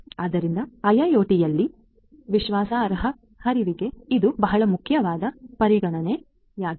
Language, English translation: Kannada, So, this is a very important consideration for trust flow in IIoT